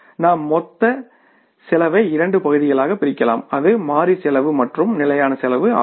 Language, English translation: Tamil, We divide the total cost into two parts, variable cost and the fixed cost